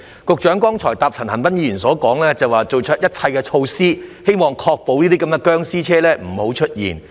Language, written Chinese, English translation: Cantonese, 局長剛才回答陳恒鑌議員說，已採取一切措施確保這些"殭屍車"不出現。, In his reply to Mr CHAN Han - pan the Secretary said just now that all necessary measures have been adopted to ensure that these zombie vehicles will not appear